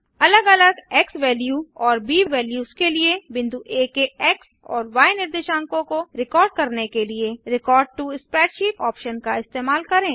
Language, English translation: Hindi, used the Record to Spreadsheet option to record the x and y coordinates of point A, for different xValue and b values